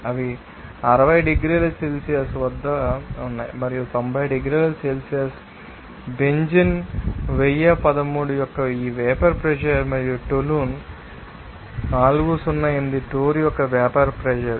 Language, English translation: Telugu, They are at that 60 degree Celsius and that 90 degrees Celsius this vapour pressure of benzene 1013 and vapour pressure of toluene 408 torr